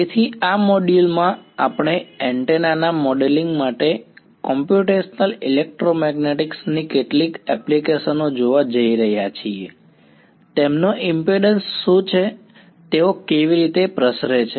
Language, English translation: Gujarati, So, in this module we are going to look at some Applications of Computational Electromagnetics to modeling Antennas what is their impedance, how do they radiate